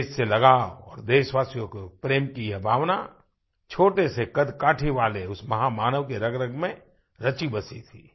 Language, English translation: Hindi, This spirit of attachment towards the country and fellow countrymen was deeply imbibed in that great person of a very short physical stature